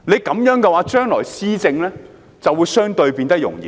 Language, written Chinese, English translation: Cantonese, 這樣的話，將來施政就會相對容易。, Should that be the case the future governance will be relatively easy